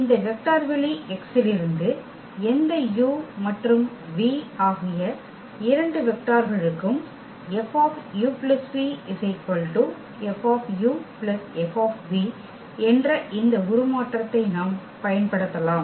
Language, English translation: Tamil, For any two vectors u and v from this vector space X, if we apply this transformation F on u plus v this should be equal to F u and plus F v